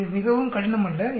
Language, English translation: Tamil, It is not very difficult